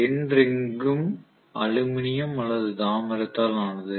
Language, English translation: Tamil, End ring will also be made up of aluminum or copper